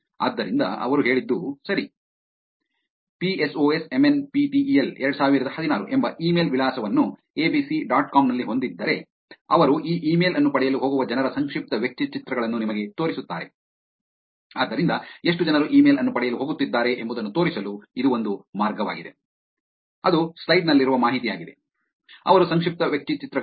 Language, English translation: Kannada, So what they said was, okay, if there is a email address the state called psosmnptel2016 at abc dot com, they would actually show you the profile pictures of the people who are going to get this email, so that is a way by which to show that how many people are actually going to get the email, that is the information on the slide also, their profile pictures